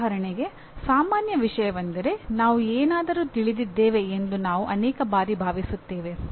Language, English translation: Kannada, For example most common thing is many times we think we know about something